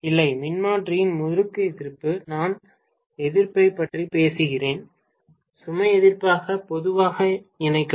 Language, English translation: Tamil, Not resistance of the winding of the transformer, I am talking about resistance which I will connect as the load resistance normally